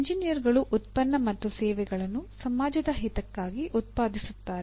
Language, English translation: Kannada, Engineers produce products and services apparently for the benefit of the society